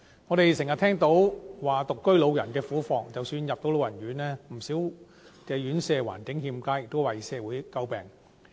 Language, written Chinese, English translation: Cantonese, 我們經常聽到獨居老人的苦況，即使能入住老人院，不少院舍的環境欠佳，亦為社會詬病。, We frequently hear people talking about the hardship of elderly singletons . The living environment of some RCHE residents is also far from satisfactory as quite a number of local RCHEs have come under fire for their poor conditions